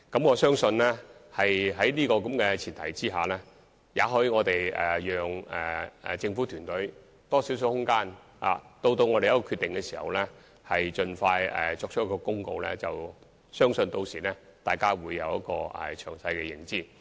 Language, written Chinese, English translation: Cantonese, 我相信在這前提下，也許應讓政府團隊有更大空間，待得出決定後盡快公布，相信大家屆時將有詳細的認知。, I think under this premise perhaps we should allow more room for the governance team to arrive at and announce its decision at the earliest possible time so that we would all obtain a detailed understanding of the matter by then